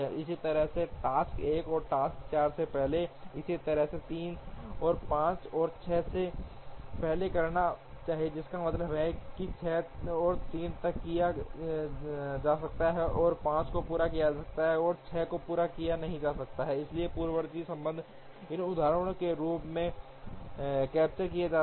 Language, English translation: Hindi, Similar, task 1 should precede task 4, similarly 3 and 5 should precede 6, which means 6 cannot be done till 3 and 5 are completed 6 cannot be taken up and so on, so the precedence relationship are captured in the form of these arcs on this network